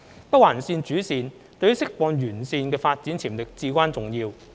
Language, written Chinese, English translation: Cantonese, 北環綫主綫對於釋放沿線的發展潛力至關重要。, The main line of NOL is of paramount importance to unleash development potential along its alignment